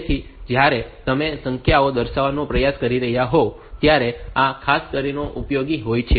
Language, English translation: Gujarati, So, for this particularly useful when you are trying to display the numbers